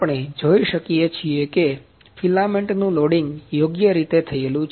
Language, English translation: Gujarati, We can see that the loading of filament is properly done